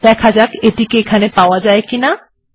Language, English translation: Bengali, Okay let me see if I have this here